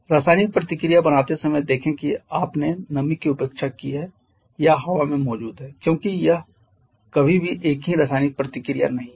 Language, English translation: Hindi, See how forming the chemical reaction you have neglected the moisture or present in the air because it never part is the same chemical reaction